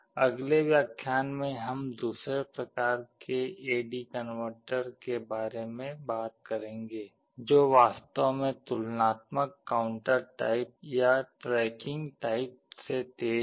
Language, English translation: Hindi, In the next lecture we shall be talking about another type of A/D converter, which in fact is faster than the counter type or the tracking type